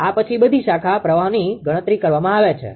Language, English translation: Gujarati, After this all the branch currents are computed